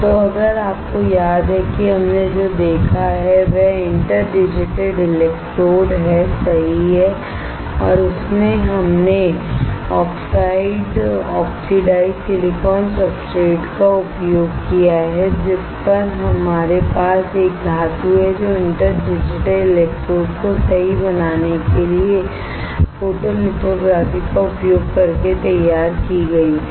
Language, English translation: Hindi, So, if you remember the what we have seen is the interdigitated electrodes right and in that we have used oxide oxidized silicon substrate, on which we have a metal which were which was patterned using photolithography to form interdigitated electrodes right